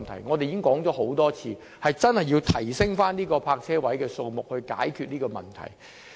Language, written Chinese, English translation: Cantonese, 我們已多次表示，當局真要增加泊車位數目以解決這個問題。, In fact we have repeated many times that the authorities must increase the parking spaces there to solve the problem